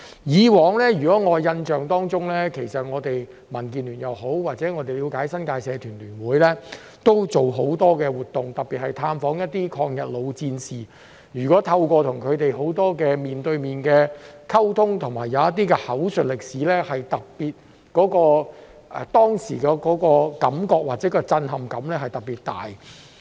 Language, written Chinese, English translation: Cantonese, 在我的印象中，其實我們民建聯也好，或據我們了解，新界社團聯會亦曾舉辦很多活動，特別是探訪一些抗日老戰士，透過與他們面對面的溝通及口述歷史，當時的感覺或震撼感是特別大的。, As far as I can remember actually the Democratic Alliance for the Betterment and Progress of Hong Kong and according to our understanding the New Territories Association of Societies have also organized a lot of activities especially visits to veterans of the War of Resistance . Through face - to - face communication with them and oral history the feeling or shock experienced at that time was particularly strong